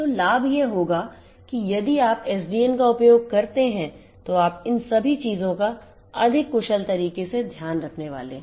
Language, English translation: Hindi, So, the advantages would be that if you use SDN you are going to take care of all of these things in a much more efficient manner